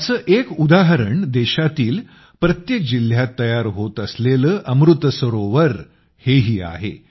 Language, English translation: Marathi, An example of this is the 'AmritSarovar' being built in every district of the country